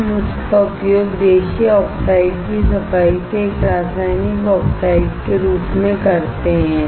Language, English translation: Hindi, We use this as a chemical oxides from cleaning native oxide